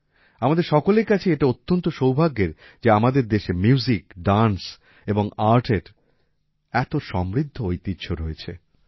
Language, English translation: Bengali, It is a matter of fortune for all of us that our country has such a rich heritage of Music, Dance and Art